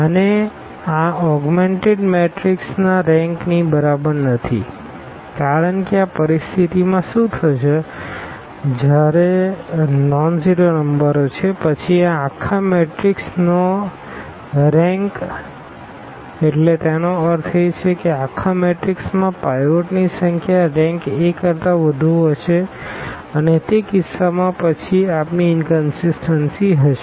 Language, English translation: Gujarati, And, it is not equal to the rank of the whole this augmented matrix because in this situation what will happen when these are the nonzero numbers then this rank of this whole matrix; that means, the number of pivots in the whole matrix will be equal to I will be more than the rank of A and in that case then we have the inconsistency